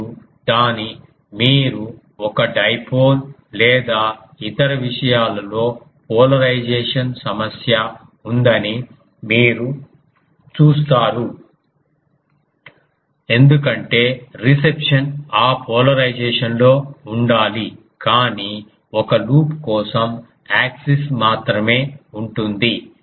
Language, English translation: Telugu, And also its since it is ah you see that in a dipole or other things you have the polarization problem because the reception needs to be in that polarization, but for a loop only the axis